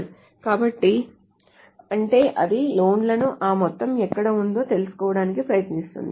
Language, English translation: Telugu, So that means it will try to find out the loans where the amount there is some problem with the amount